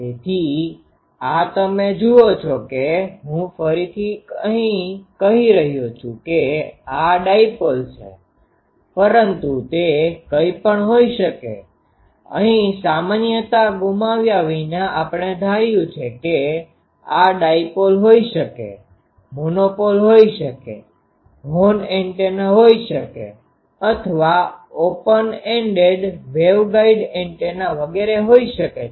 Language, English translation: Gujarati, So, this you see that I can say here again, you can see the that this is dipole but it could have been anything, here without loss of generality we are assumed dipoles this could have been monopoles this could have been horn antennas this could have been open ended waveguide antenna etc